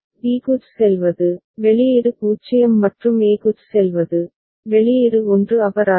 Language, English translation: Tamil, Going to b, output is 0 and going to a, output is 1 fine